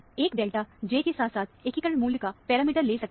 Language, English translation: Hindi, One can get the parameter of delta, J, as well as integration value